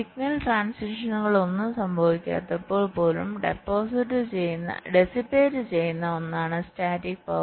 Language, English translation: Malayalam, static power is something which is dissipated even when no signal transitions are occurring